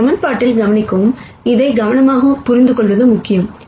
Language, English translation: Tamil, Notice in this equation it is important to really understand this carefully